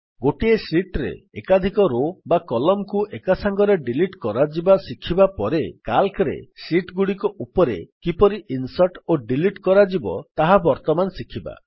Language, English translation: Odia, After learning about how to insert and delete multiple rows and columns in a sheet, we will now learn about how to insert and delete sheets in Calc